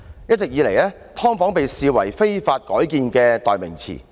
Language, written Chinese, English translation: Cantonese, 一直以來，"劏房"被視為"非法改建"的代名詞。, All along subdivided unit has been regarded as a synonym for illegal conversion